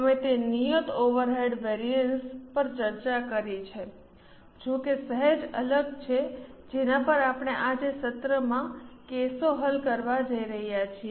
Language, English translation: Gujarati, We had discussed that fixed overhead variances however are slightly different which we are going to solve cases on in the today's session